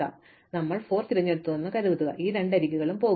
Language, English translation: Malayalam, So, let us suppose we choose 4 then again these two edges will go